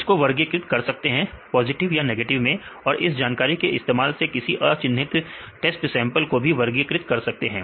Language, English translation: Hindi, They can classify; this positive negatives and using this information, they can classify the unlabeled test samples